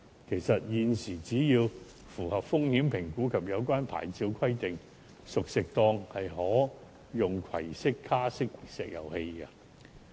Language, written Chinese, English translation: Cantonese, 其實，現時熟食攤檔只要符合風險評估及有關牌照規定，便可使用可攜式卡式石油氣爐。, In fact at present if cooked food stalls pass the risk assessment and meet the requirements of their licences they can use portable cassette cooker